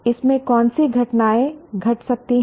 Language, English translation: Hindi, Which events could have happened in this